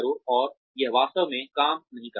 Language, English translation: Hindi, And, that really does not work